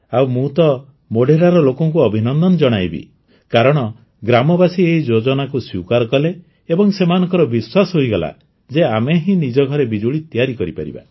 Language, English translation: Odia, And I would like to congratulate the people of Modhera because the village accepted this scheme and they were convinced that yes we can make electricity in our house